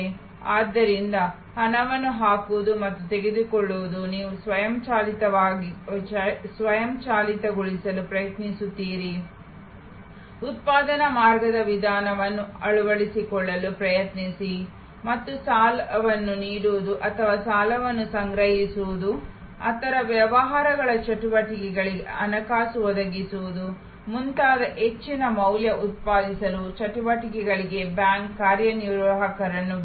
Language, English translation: Kannada, So, both putting in and take out money, you try to automate, try to adopt the production line approach and leave the bank executives for more value generating activities like giving loans or collecting loans or financing of business activities and so, on